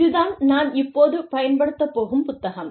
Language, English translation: Tamil, So, this is the book, that i am using